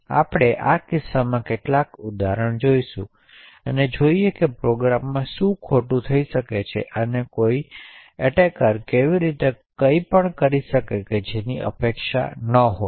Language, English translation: Gujarati, So, we will look at each of these cases with some examples and see what could go wrong in the program and how an attacker could be able to do something which is not expected of the program